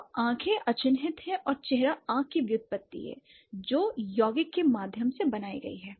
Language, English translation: Hindi, So, eyes are unmarked and face is the derivation of I by and which has been formed via compounding